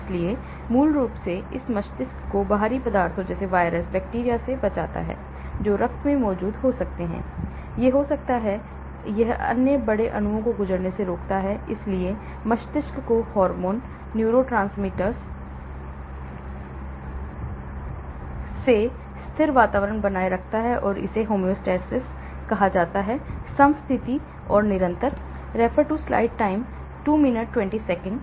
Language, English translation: Hindi, so basically it protects the brain from foreign substances such as viruses, bacteria that may be present in the blood , it may; it prevents large molecules to pass through, so it shields the brain from hormones and neurotransmitters maintaining a constant environment and is called homeostasis, ; homeostasis; constant environment